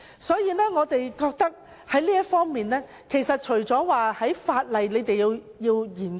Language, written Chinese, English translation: Cantonese, 所以，我們覺得在這方面，政府有需要在法例上進行研究。, Hence in our view the Government needs to conduct a study on the legislation in this regard